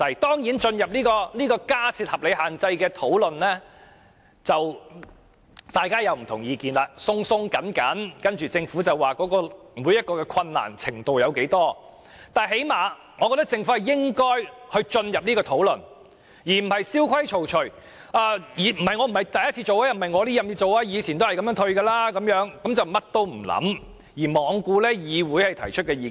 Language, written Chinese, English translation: Cantonese, 當然，若展開有關加設限制的討論，大家會有很多不同意見，政府亦會表示有很大困難，但最少我認為政府應展開這個討論，而不是蕭規曹隨，表示政府以往也是這樣豁免差餉的，然後甚麼都不理，罔顧議會提出的意見。, Of course people will have different opinions when discussing the restrictions and then the Government will say that implementation will be very difficult . But I think that the Government should at least initiate such a discussion and not follow the old practice and rules saying that the Government also implemented rates concession in this way in the past . It hence does nothing and turns a deaf ear to the views of this Council